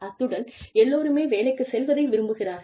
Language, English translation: Tamil, And, everybody loves going to work